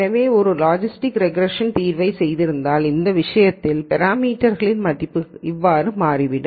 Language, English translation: Tamil, So, if you did a logistics regression solution, then in this case it turns out that the parameter values are these